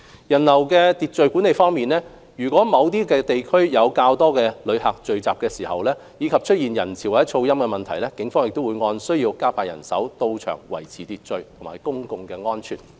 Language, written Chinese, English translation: Cantonese, 人流秩序管理方面，如某些地區有較多旅客聚集，以及出現人潮或噪音等問題，警方會按需要加派人員到場維持秩序及公共安全。, On crowd management in case a relatively large number of tourists gather in certain areas causing congestion or noise problems the Police will on a need basis deploy more manpower to maintain order and public safety